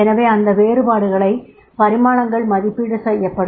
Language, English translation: Tamil, So those dimensions will be apprised